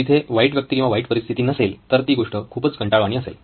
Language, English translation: Marathi, So if there is no conflict, there is no bad guy or bad situation, the story is pretty boring